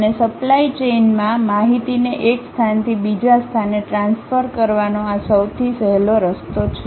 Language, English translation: Gujarati, And, this is the easiest way of transferring information from one location to other location in the supply chain